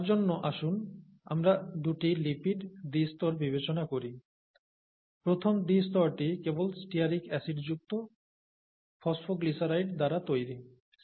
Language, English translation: Bengali, For that, let us consider two lipid bi layers; the first bi layer is made up of phosphoglycerides containing only stearic acid, okay, C18